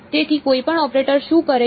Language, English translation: Gujarati, So, what does any operator do